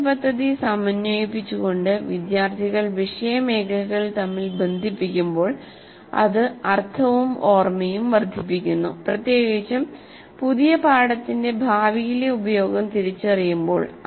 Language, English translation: Malayalam, So when students make connections between subject areas by integrating the curriculum, it increases the meaning and retention, especially when they recognize a future use for the new learning